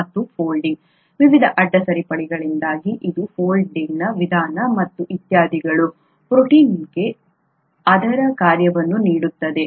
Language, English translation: Kannada, And this folding, the way it folds because of the various side chains and so on so forth, is what gives protein its functionality